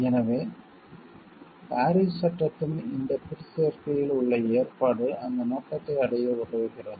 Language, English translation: Tamil, So, the provision in this appendix to the Paris act helps us to reach that objective